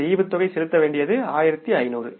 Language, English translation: Tamil, 1,500 is the dividend payable